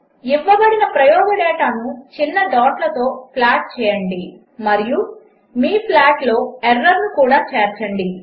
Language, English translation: Telugu, Plot the given experimental data with small dots and also include the error in your plot